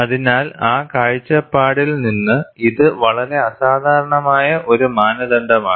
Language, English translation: Malayalam, So, it is a very unusual standard, from that point of view